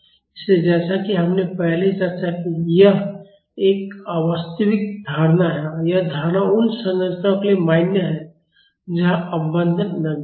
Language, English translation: Hindi, So, as we have discussed earlier this is an unrealistic assumption and the assumption is valid for structures where the damping is insignificant